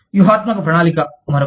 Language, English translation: Telugu, Strategic planning is another one